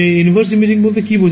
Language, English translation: Bengali, What is meant by inverse imaging